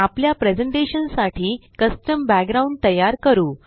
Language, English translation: Marathi, You can even create your own custom backgrounds